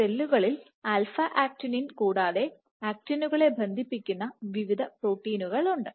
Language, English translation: Malayalam, So, in cells apart from alpha actinin So, you have various actin cross linking proteins